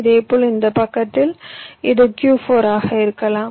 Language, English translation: Tamil, similarly, on this side, this can be q four